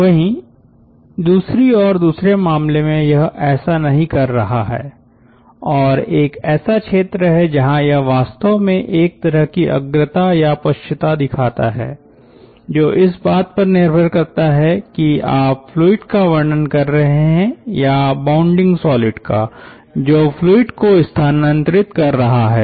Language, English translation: Hindi, on the other hand, in the second case, it is not doing like that and there is a region where it actually shows a kind of lead or lag, depending on whether you are describing the fluid or describing the bounding solid which is making the fluid move